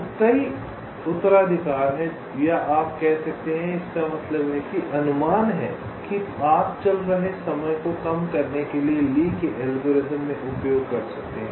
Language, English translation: Hindi, now there are several heuristics, or you can say that means approximations, that you can use in the lees algorithm to reduce the running time